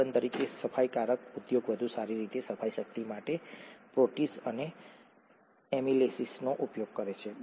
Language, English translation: Gujarati, For example, the detergent industry uses proteases and amylases for better cleaning power